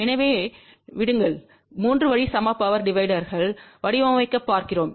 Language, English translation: Tamil, So, let us see in order to design a 3 way equal power divider